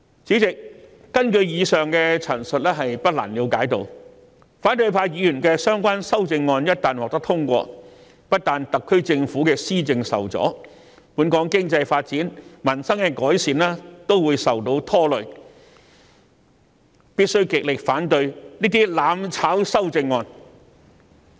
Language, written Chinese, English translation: Cantonese, 主席，根據以上所述，我們不難了解到，反對派議員的修正案一旦獲得通過，不但會令特區政府的施政受阻，本港的經濟發展、改善民生的工作亦會受到拖累，我們必須極力反對這些"攬炒"的修正案。, Chairman in light of the above it is not difficult to understand that should the amendments proposed by Members of the opposition camp be passed not only policy administration by the SAR Government will be hindered but the economic development of Hong Kong and our efforts to improve peoples livelihood will also be undermined . We must strongly oppose such mutually destructive amendments